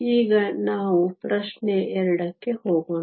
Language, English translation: Kannada, So let us now move to question 2